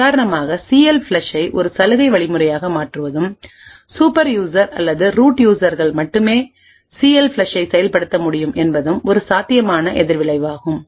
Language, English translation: Tamil, One possible countermeasure is to for example, is to make CLFLUSH a privilege instruction and only super users or root users would be able to invoke CLFLUSH